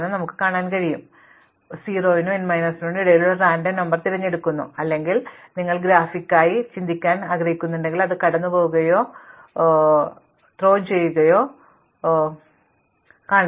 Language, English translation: Malayalam, So, think of it as, I am choosing a random number between 0 and n minus 1 equally likely or if you want to think graphically it is like tossing or throwing a die